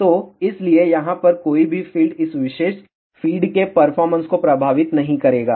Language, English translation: Hindi, So, hence any feed over here will not affect the performance of this particular feed here